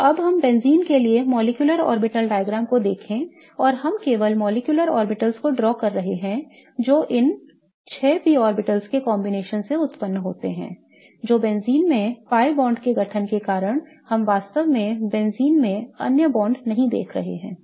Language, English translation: Hindi, So, now let us look at the molecular orbital diagram for benzene and we are only drawing the molecular orbitals that are resulting from the combination of these six P orbitals that is the formation of the pi bonds in benzene